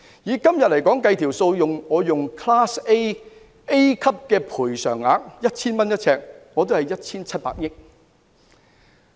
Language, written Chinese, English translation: Cantonese, 以今天 Class A 每平方呎的賠償額為 1,000 元來計算，總金額是 1,700 億元。, If the present compensation for a Class A site which is 1,000 per square foot is used in the calculation then the total amount is 170 billion